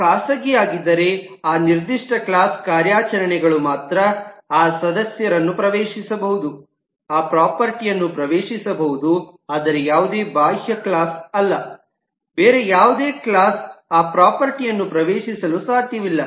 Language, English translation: Kannada, If it is private, it means that only the operations of that specific class can access that property, but no external class, no other class can access that property